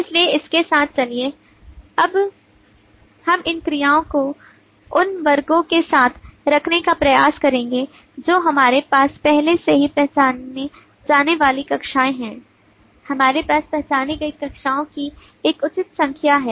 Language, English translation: Hindi, so with this let us move on let us now try to put this verbs with the classes that we already have the classes identified at least we have a reasonable number of classes identified